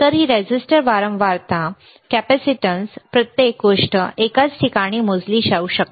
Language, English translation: Marathi, So, this is the resistance frequency, capacitance everything can be measured in the same place